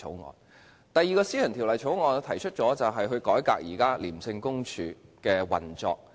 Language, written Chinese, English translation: Cantonese, 我提出的第二項私人條例草案，是改革廉政公署現時的運作。, My second private bill is concerned with reforming the current operation of the Independent Commission Against Corruption ICAC